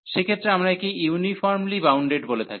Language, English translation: Bengali, So, in that case we call that this is uniformly bounded